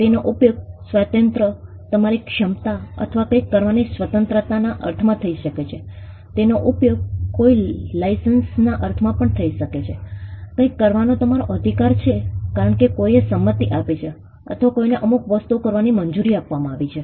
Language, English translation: Gujarati, It could be used in the sense of a liberty, your ability or freedom to do something, it could also be used in the sense of a license, your right to do something because somebody has given a consent, or somebody has been allowed to do certain things